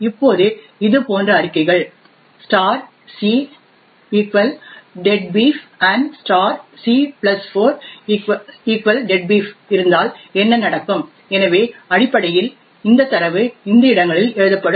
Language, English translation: Tamil, Now what would happen if we have statements such as this *c=deadbeef and *(c+4) = deadbeef, so essentially this data gets written into these locations